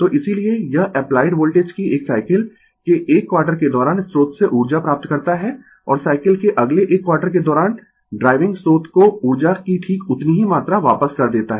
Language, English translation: Hindi, So, that is why, it receives energy from the source during 1 quarter of a cycle of the applied voltage and returns exactly the same amount of energy to driving source during the next 1 quarter of the cycle right